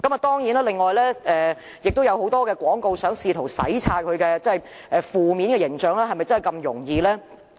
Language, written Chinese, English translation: Cantonese, 當然，領展亦試圖以很多其他廣告洗擦其負面形象，但是否真的那麼容易做到呢？, Undoubtedly Link REIT also attempted to discard its negative image by launching many other advertisements . Yet is it truly an easy task to achieve?